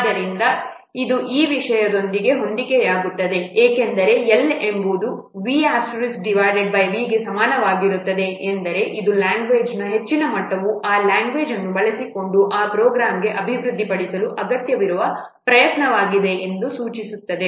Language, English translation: Kannada, So it match with this thing that because L is equal to v star by V means, it implies that higher the level of a language, less will be the effort it requires to develop for that program using that language